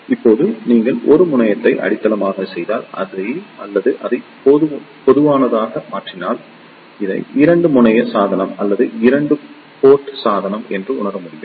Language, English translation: Tamil, Now if you make 1 terminal is grounded or you make it as common; then this can be realize as a 2 terminal device or a 2 port device